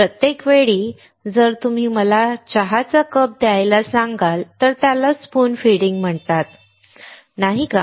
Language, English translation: Marathi, Every time, if you ask to give me the cup of tea, it is called spoon feeding, isn't it